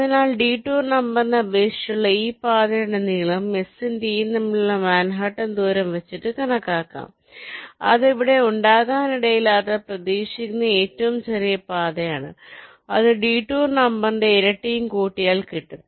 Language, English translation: Malayalam, so that's why the length of the path with respect to the detour number, here you can estimate as the manhattan distance between s and t, which is the expected shortest path, which may not be there, that manhaatn distance plus twice the detour number